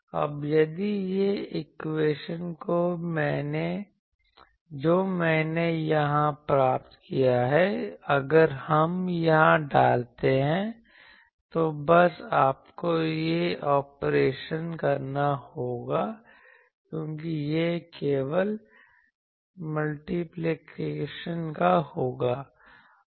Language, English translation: Hindi, Now, if this equation what I obtained here, this if we put here, if you do it; just you will have to do this operation because this will be simply multiplication, you do this operation